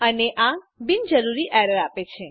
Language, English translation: Gujarati, And this gives unnecessary errors